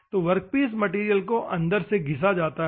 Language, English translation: Hindi, So, the workpiece material is internally ground